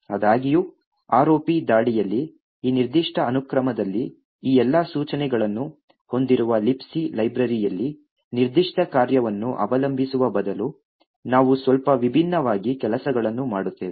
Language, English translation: Kannada, However, in the ROP attack we do things a little bit differently instead of relying on a specific function in the libc library which has all of these instructions in this particular sequence